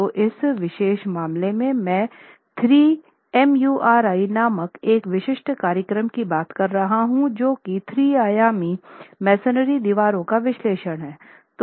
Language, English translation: Hindi, So, in this particular case, I'm talking of a specific program called Thremuri, which is three dimensional analysis of masonry walls